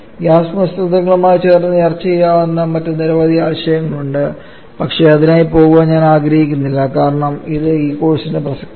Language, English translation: Malayalam, There are several other concept that could have been discussed in conjunction with gas mixtures, but I do not want to go any for that because that is not relevant to this course as well